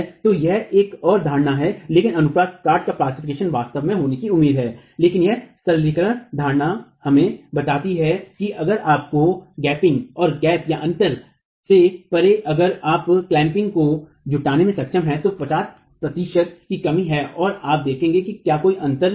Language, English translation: Hindi, So, this is another assumption but plastication of the cross section is actually to be expected but this simplified assumption tells us that if you have gap darching and beyond the gap if you are able to mobilize clamping then a 50% reduction is what you would see if there is a gap